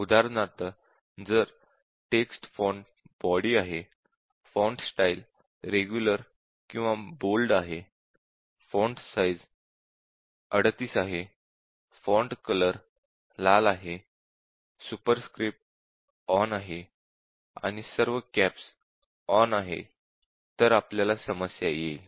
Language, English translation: Marathi, For example, if the text font is body, and the font style is let say regular or bold, and then size is 38, and then font colour is red, and then superscript is switched on and all caps switched on, we have a problem